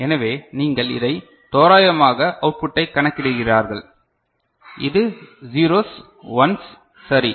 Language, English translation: Tamil, So, you will come to the approximation of this and this output this 0s 1s ok